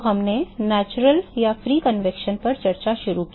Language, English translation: Hindi, So, we started discussion on natural or free convection